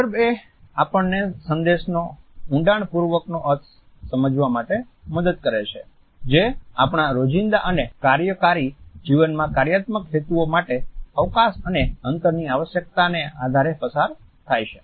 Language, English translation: Gujarati, Context helps us in internalizing the messages which are passed on regarding the requirements of a space and distances for functional purposes in our day to day and work life